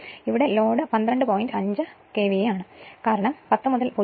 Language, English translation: Malayalam, So, load is twelve point 5 KVA because 10 by 0